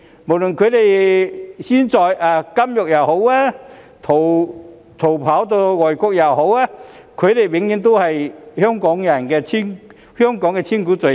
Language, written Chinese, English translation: Cantonese, 無論他們現時身處監獄還是逃跑到外國，他們永遠都是香港的千古罪人。, Whether they are now in prison or in exile they will go down as sinners of a thousand years to Hong Kong forever . Fortunately the righteousness is bound to prevail